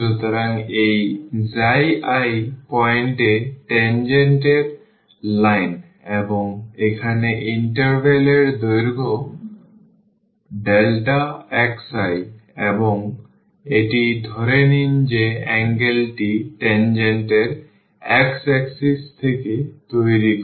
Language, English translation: Bengali, So, this is the tangent line at this x i i point and this is the interval length here delta x i and this is suppose the angle which tangent makes from the x axis